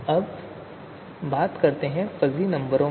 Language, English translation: Hindi, Now let us talk about you know fuzzy numbers